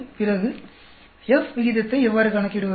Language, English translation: Tamil, Then, how do we calculate the F ratio